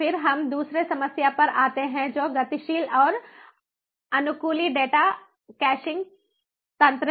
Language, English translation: Hindi, then we come to the second problem, which is the dynamic and adaptive data caching mechanism